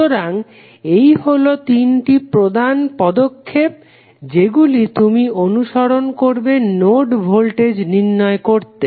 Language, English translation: Bengali, So, these would be the three major steps which you will follow when you have to find the node voltages